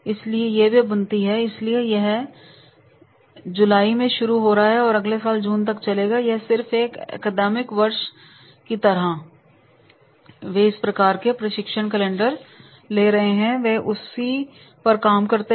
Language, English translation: Hindi, So, starting in July and running until June next year, it is just like an academic year then they are having this type of the training calendar and their work on it